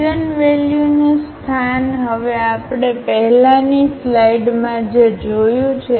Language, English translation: Gujarati, The location of the eigenvalues now what we have just seen in previous slide